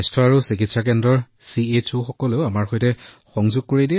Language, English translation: Assamese, The CHOs of Health & Wellness Centres get them connected with us